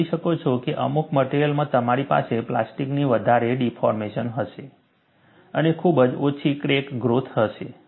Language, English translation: Gujarati, In certain materials, you are able to see, that you will have more plastic deformation and very little crack growth; then, this is applicable